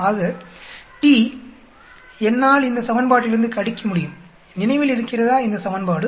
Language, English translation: Tamil, So t, I can calculate using this equation, remember this equation